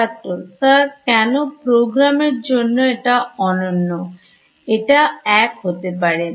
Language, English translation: Bengali, Sir why should be unique for programs also it will be same